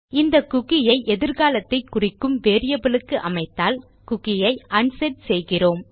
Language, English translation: Tamil, Now by setting the cookie to this variable which represents a time in the future, we are actually unsetting the cookie